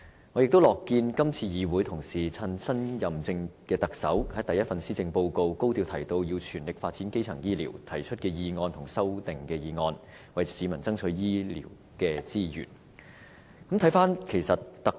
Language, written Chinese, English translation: Cantonese, 我也樂見今次議會同事藉着新任特首發表的第一份施政報告高調提及要全力發展基層醫療，從而提出議案和修正案，為市民爭取醫療資源。, I am also happy to see that in response to the first Policy Address published by the new Chief Executive which brought up the issue of developing primary health care services in a high - profile way my colleagues in the Legislative Council take the opportunity to move a motion and amendments in a bid to secure medical resources for the public